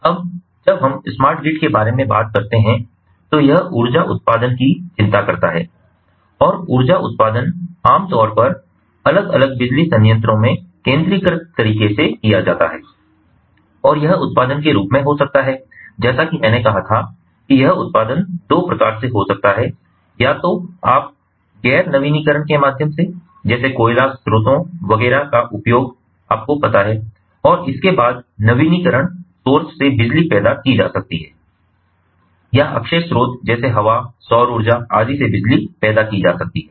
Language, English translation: Hindi, now, when we talk about smart grid, it concerns energy generation, and energy generation is typically done in a centralized manner at the different power plants, and this generation can be, as i said before, this generation can be of two types: either, you know, through nonrenewable sources like, ah you know, coal and so on and so forth nonrenewable sources, electricity can be generated, or from the renewable sources like wind, solar power and so on